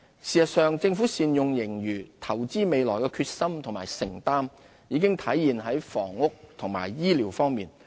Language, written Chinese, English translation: Cantonese, 事實上，政府善用盈餘，投資未來的決心和承擔已體現在房屋和醫療方面。, To demonstrate the Governments determination in and commitment to making good use of surplus and investing in the future we have set aside substantial resources for housing and health care